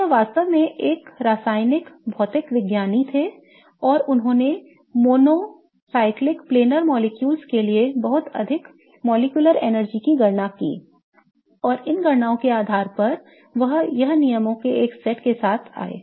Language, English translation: Hindi, So, he was a chemical physicist really and he calculated a lot of molecular energy calculations for monocyclic planar molecules and based on these calculations he has come up with a set of rules